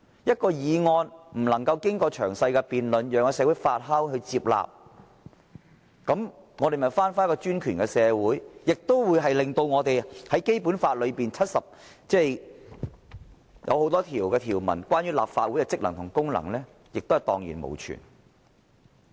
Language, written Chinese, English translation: Cantonese, 一項法案不能經過詳細辯論，讓社會發酵和接納，豈不是回到專權的社會，而且令《基本法》所訂明的多項有關立法會職能的條文蕩然無存？, If a bill cannot be debated in detail to allow a process of fermentation before its acceptance in society does it not mean a return to autocracy? . And regarding the many Basic Law provisions setting out the duties and functions of the Legislative Council would they not be rendered useless and virtually non - existent?